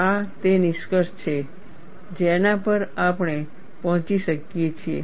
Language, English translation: Gujarati, This is the conclusion that we can arrive at